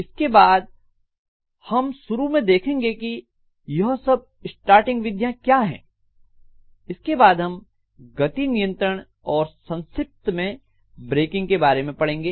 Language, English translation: Hindi, Then after that, we will be looking at starting what are all the different starting methods, and then we can look at speed control and very little bit about breaking